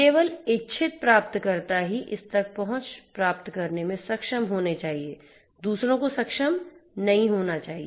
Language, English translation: Hindi, Only the intended recipients should be able to get access to it; others should not be able to